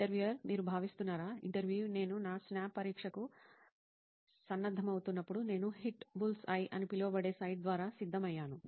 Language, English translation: Telugu, Do you think that comes to… So while I was preparing for my SNAP exam, so I had prepared through the site known as the ‘Hitbullseye’